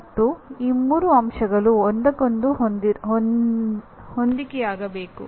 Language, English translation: Kannada, And these three elements should be in alignment with each other